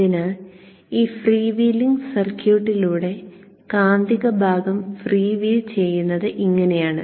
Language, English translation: Malayalam, So this is how the magnetizing part freewheels through this freewheeling circuit